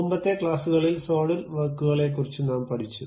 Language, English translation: Malayalam, In the earlier classes, we have learned little bit about Solidworks